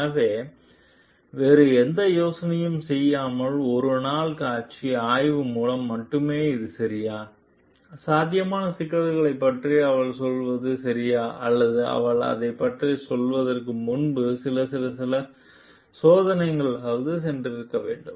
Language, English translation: Tamil, So, is it ok only through one day visual inspection like without doing any other testing, is it ok for her to tell about this the potential problems or she should have gone for some at least some few tests before she can tell about it